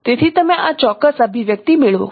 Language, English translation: Gujarati, So given by this expression